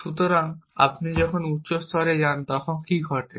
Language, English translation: Bengali, So, what happens when you go to higher levels of language